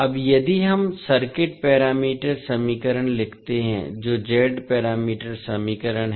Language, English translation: Hindi, Now, if we write the circuit parameter equations that is Z parameter equations